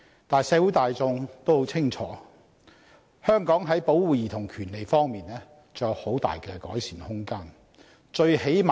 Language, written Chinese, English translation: Cantonese, 但是，社會大眾也很清楚，香港在保護兒童權利方面仍然有很大的改善空間。, Nonetheless as the general public knows clearly there is still much room for improvement in the protection of childrens rights in Hong Kong